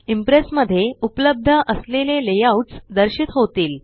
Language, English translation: Marathi, The layouts available in Impress are displayed